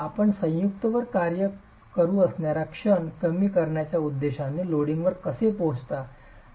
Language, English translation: Marathi, How do you arrive at the loading based on the intention to reduce the moment that can act on the joint itself